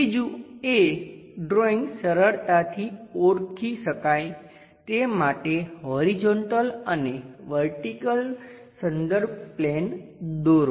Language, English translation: Gujarati, The third one is first draw a horizontal and vertical reference planes to easily identifiable drawings